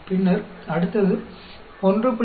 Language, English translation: Tamil, Then, next one is 1